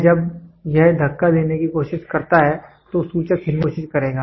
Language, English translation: Hindi, This when it tries to push this will pointer will try to move